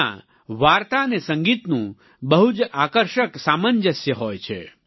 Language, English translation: Gujarati, It comprises a fascinating confluence of story and music